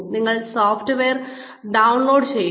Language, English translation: Malayalam, You download the software